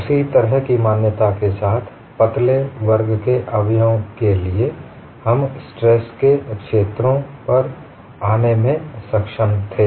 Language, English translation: Hindi, With that kind of an assumption, for a class of slender members, we were able to arrive at the stress fields